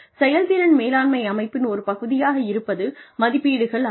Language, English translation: Tamil, In a performance management system, one part of this is appraisals